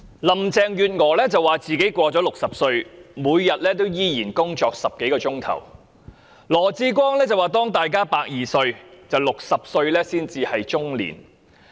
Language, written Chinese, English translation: Cantonese, 林鄭月娥說自己過了60歲，每天仍然工作10多小時；羅致光則說當大家的壽命有120歲時 ，60 歲只是中年。, Carrie LAM said that she still worked more than 10 hours daily after turning 60 . LAW Chi - kwong said 60 years old is only considered middle age when everyone can live to 120 years